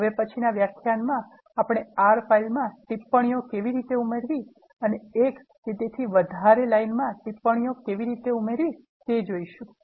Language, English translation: Gujarati, In the next lecture, we are going to see how to add comments to the R file and how to add comments to the single line and multiple lines etc